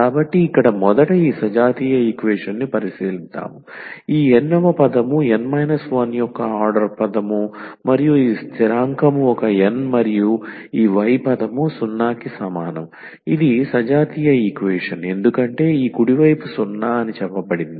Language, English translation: Telugu, So, here let us consider this homogeneous equation first, so d this nth term, n minus 1th order term and this constant is a n and this y term equal to 0, so this is the homogeneous equation because this right hand side is said to be 0